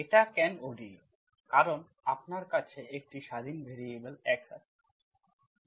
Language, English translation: Bengali, independent, sorry you have one independent variable x